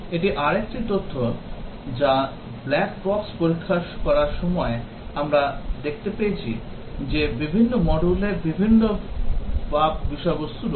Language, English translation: Bengali, This is another data that while testing doing the black box testing; we found that different modules had different bug contents